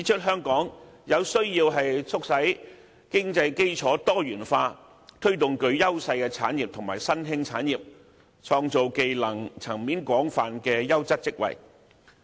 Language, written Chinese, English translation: Cantonese, 香港需要促進經濟基礎多元化，推動具優勢的產業和新興產業，創造技能層面廣泛的優質職位。, Hong Kong needs to facilitate the diversification of economic foundation promote industries and emerging industries with competitive edges and create quality jobs involving a wide range of skills